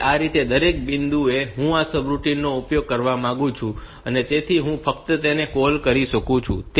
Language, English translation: Gujarati, So, this way at every point I want to use this routine so, I can just give a call to that